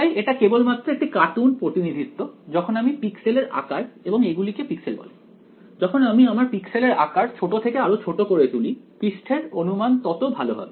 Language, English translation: Bengali, So, this is just a cartoon representation as I make the size of the pixels now these are called pixels as I make the size of the pixel smaller and smaller better is the approximation of the surface